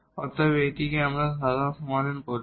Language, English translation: Bengali, So, therefore, we are calling it has the general solution